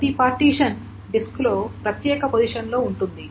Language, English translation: Telugu, So each partition is in separate position in the disk